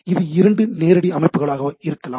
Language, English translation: Tamil, This can be two direct systems